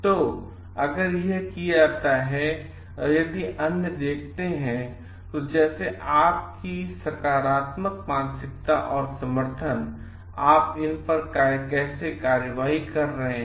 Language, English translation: Hindi, So, and if this is done and if the other see, like your positive mindset and support and how you are trying to act on these